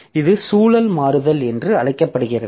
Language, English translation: Tamil, So, this is known as context switching